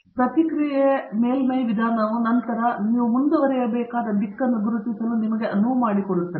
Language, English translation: Kannada, And, the Response Surface Methodology then enables you to identify the direction in which you should proceed